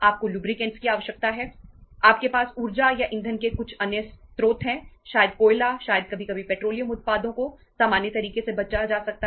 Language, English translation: Hindi, You have some other sources of the energy or the fuel maybe the coal maybe sometime save petroleum products in the normal course